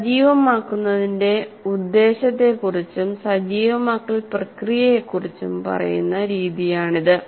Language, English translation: Malayalam, So this is the most appropriate way of saying about the purpose of activation and the process of activation